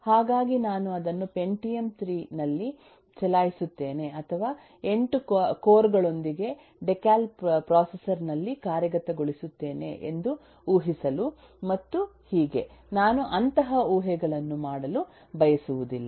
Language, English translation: Kannada, so I do not want to assume that I will run it on a Pentium 3 or I will implement it on a uh decal processor with 8 cores and so on